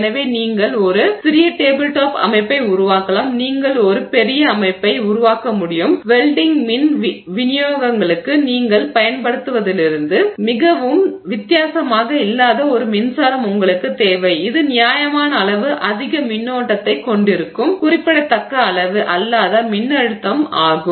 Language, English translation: Tamil, And so you can make a small tabletop setup, you can make a large setup, you just need a power supply not very different from what you would use for welding power supplies that is capable of reasonably high amounts of current, not a very significant amount of voltage